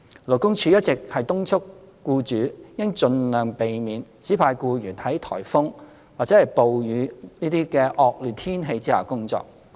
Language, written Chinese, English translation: Cantonese, 勞工處一直敦促僱主應盡量避免指派僱員在颱風及暴雨等惡劣天氣下工作。, LD has been urging employers to avoid assigning employees to work during inclement weather such as typhoons and rainstorms